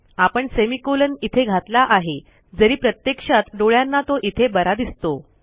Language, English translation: Marathi, So I have added a semicolon there, although to the human eye visually it should be there